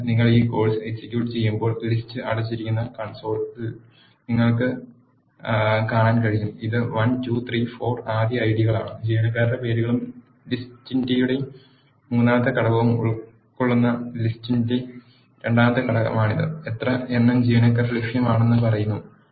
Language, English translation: Malayalam, So, when you execute this course, you can see in the console the list is printed this is the first one IDs 1, 2, 3, 4; this is the second element of the list which are contain the names of employees and the third element of the list which are saying how many number of employees are available